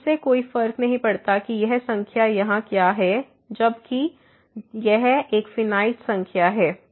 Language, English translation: Hindi, So, will does not matter what is this number here as long as this is a finite number